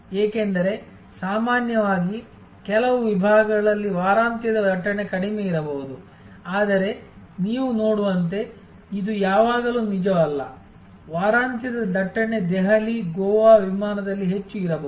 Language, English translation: Kannada, Because, normally in certain segments the weekend traffic may be lower, but as you see it is not always true the week end traffic may be much higher on a Delhi, Goa flight